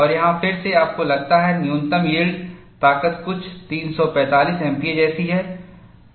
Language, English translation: Hindi, And here again, you find the minimum yield strength is something like 345 MPa